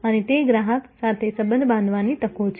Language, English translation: Gujarati, And those are opportunities for building relation with the customer